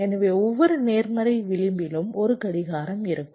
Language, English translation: Tamil, so whenever there is a clock, at every positive edge